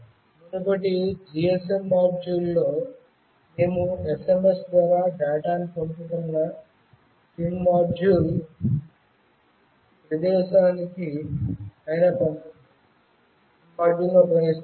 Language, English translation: Telugu, In previous GSM module, we were using a SIM module that was sending the data through SMS